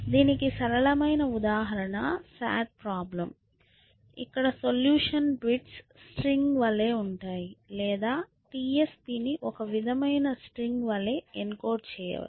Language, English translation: Telugu, So, the simplest example that we can think of is the sat problem where the solution is just a bits string essentially or TSP can be encoded as some sort of string